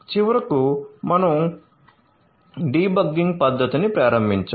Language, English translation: Telugu, And finally, we have we have enabled the debugging method